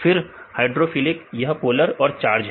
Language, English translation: Hindi, Then the hydrophilic: it is polar and charged